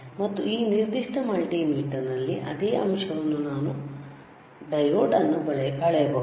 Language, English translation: Kannada, And in this particular multimeter, same point we can measure diode all right